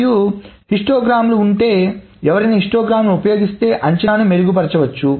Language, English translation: Telugu, And once more, this is the if there is histograms, if one uses histograms, then the estimates can be of course improved